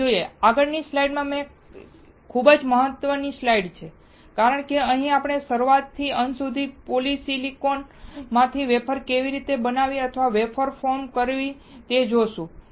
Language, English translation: Gujarati, Let us see, the next slide and which is very important slide because here we will quickly see how to form the wafer or manufacture the wafer from polysilicon, from scratch till the end